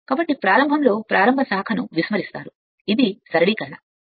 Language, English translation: Telugu, So, at the start the start branch is neglected right just for the it is a simplification right